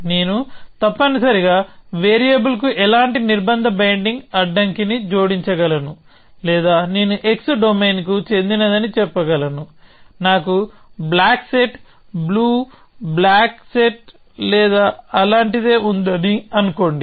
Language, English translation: Telugu, I could add any kind of a constraint binding constraint to variable essentially or I could say that x belongs to some domain of let us say block set I have; let say blue block set or something like that